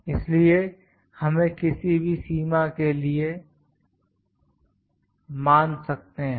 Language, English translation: Hindi, So, we can consider it for any limits